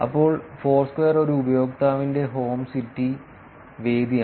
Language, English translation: Malayalam, Then Foursquare it is user home city venue and venue